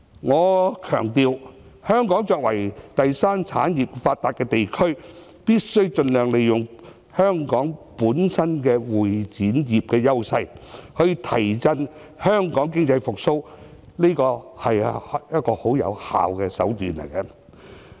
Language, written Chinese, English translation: Cantonese, 我強調，香港作為第三產業發達的地區，必須盡量利用香港本身的會展業的優勢，提振香港經濟，這是一種很有效的手段。, I must stress that Hong Kong with its well - developed tertiary industries should utilize its edge in the convention and exhibition industry to revive our economy . This will be a very effective means